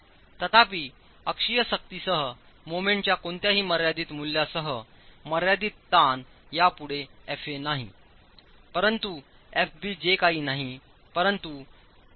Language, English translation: Marathi, However, with any finite value of moment along with the axial force the limiting stress is no longer FA but FB which is nothing but 1